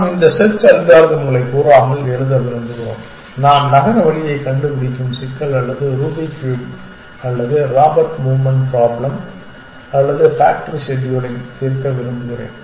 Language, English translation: Tamil, We want to write these search algorithms without saying that I want to solve the city route finding problem or a Rubik’s cube or a Robert movement problem or a factory scheduling problem